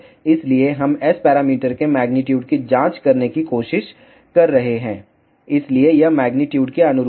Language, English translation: Hindi, So, we are trying to check the magnitude of S parameters so it is a corresponds to magnitude